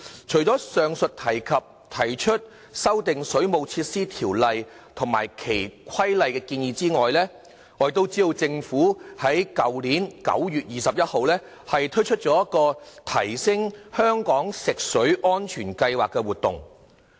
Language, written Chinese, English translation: Cantonese, 除上述提出修訂《水務設施條例》及其規例的建議外，政府在去年9月21日亦推出提升香港食水安全行動計劃的活動。, Apart from proposing amendments to the Waterworks Ordinance and its Regulations the Government launched an Action Plan for Enhancing Drinking Water Safety in Hong Kong on 21 September last year